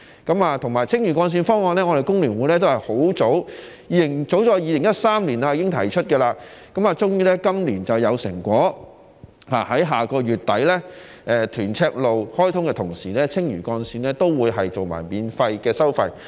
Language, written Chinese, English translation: Cantonese, 此外，還有青嶼幹線方案，我們工聯會早在2013年已經提出，終於今年有成果，在下個月底，屯赤路開通的同時，青嶼幹線亦會免收費。, In addition there is the Lantau Link proposal . FTU proposed it as early as 2013 and finally achieved the result this year . At the end of next month when the Tuen Mun - Chek Lap Kok Link opens the Lantau Link will also be free of charge